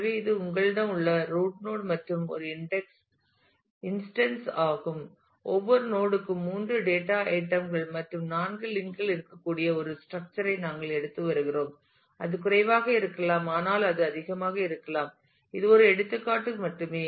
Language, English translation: Tamil, So, this is the root node that you have and for an instance; we are taking a structure where every node can have 3 data items and 4 links and it could be it could be more it could be less, but this is just for an example